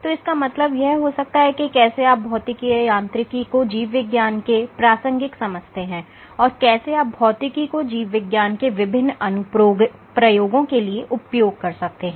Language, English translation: Hindi, So, this might mean an approach where you try to understand how physics or mechanics is relevant to biology or how you can make use of physics to engineer biology for different applications